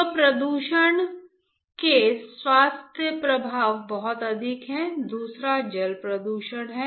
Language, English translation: Hindi, So, the health effects of pollutions are enormous the second one is water pollution